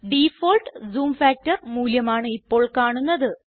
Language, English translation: Malayalam, The default zoom factor(%) value is displayed